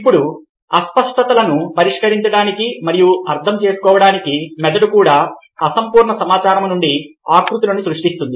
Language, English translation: Telugu, now, to resolve ambiguities and make sense of the world, the brain also creates shapes from incomplete data